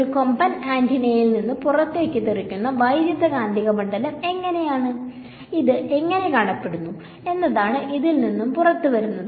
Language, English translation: Malayalam, And what is coming out of this is how is the electromagnetic field that is shooting out of a horn antenna what does it look like ok